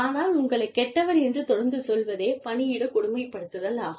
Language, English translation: Tamil, But, constantly telling you that, you are bad, you are bad, you are bad, you are bad, is workplace bullying